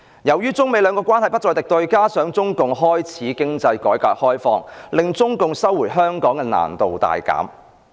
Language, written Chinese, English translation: Cantonese, 由於中美兩國關係不再敵對，加上中共開始經濟改革開放，令中共收回香港的難度大減。, As China and the United States were no longer enemies and CPC was introducing economic reform CPC did not have much difficulty to resume the sovereignty over Hong Kong